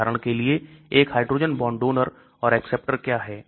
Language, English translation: Hindi, For example, what is a hydrogen bond, Donor or acceptor